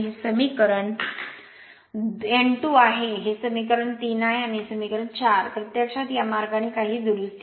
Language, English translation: Marathi, This is your equation 2, this is equation 3 and this is equation 4 actually, this way some correction right